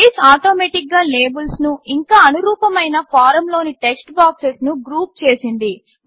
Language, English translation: Telugu, Base automatically has grouped the labels and corresponding textboxes in the form